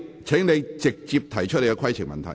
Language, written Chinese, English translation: Cantonese, 請你直接提出規程問題。, Please directly state your point of order